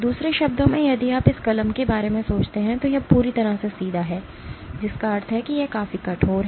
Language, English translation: Hindi, In other words if you think of this pen here this is completely straight, which means it is reasonably stiff